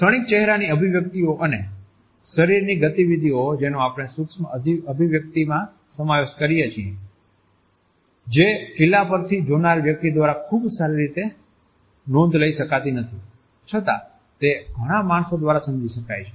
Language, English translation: Gujarati, Fleeting facial expressions and body movements which we put into micro expressions which cannot even be very properly recorded by a castle onlooker can be still understood by several human beings